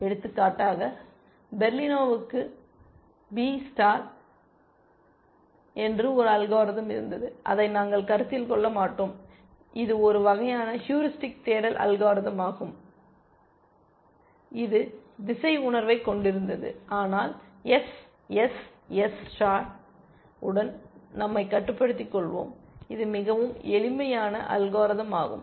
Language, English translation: Tamil, For example, Berlino had a algorithm called B star, which we will not consider, which is also a kind of a heuristic search algorithm which had a sense of direction, but we will limit ourselves to the SSS star, which is a much simpler algorithm to talk about essentially